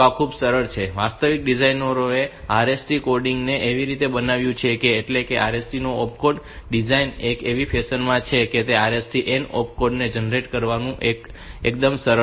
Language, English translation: Gujarati, So, this is very simple in the fact that the designers they have made this RST coding in such a fashion that way the opcode, opcode design of RST in such a fashion that it is quite easy to generate the RST n opcode